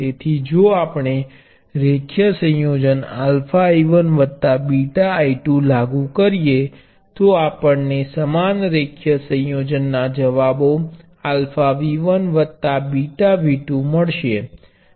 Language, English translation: Gujarati, So, if we apply a linear combination alpha I 1 plus beta I 2, we will get the same linear combination responses alpha V 1 plus beta V 2